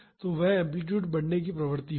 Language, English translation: Hindi, So, that amplitude will tend to increase